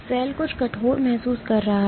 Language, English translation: Hindi, Cell is sensing something stiff